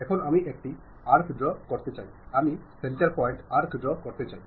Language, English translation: Bengali, Now, I would like to draw an arc center point arc I would like to draw